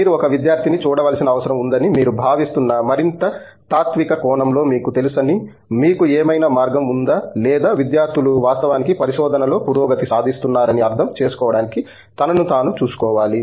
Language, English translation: Telugu, Is there any other way that you feel you know in a more philosophical sense that you feel you need to look at a student or students need to look at himself or herself to understand that they are actually making progress in to research